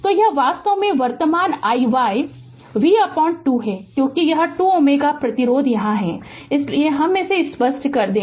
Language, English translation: Hindi, So, this is actually your current i y v upon 2 right because this 2 ohm resistance is here, so let me clear it